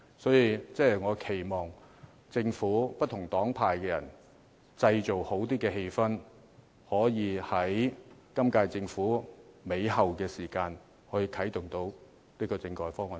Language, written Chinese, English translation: Cantonese, 所以，我期望政府和不同黨派的人能製造較好的氣氛，可在本屆政府後期啟動政改方案。, I thus hope that the Government together with different political parties and groups can create a harmonious atmosphere so that it can kick start the discussion on a constitutional reform package in the latter half of its term